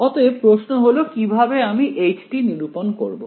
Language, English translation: Bengali, So, the question is how would I calculate h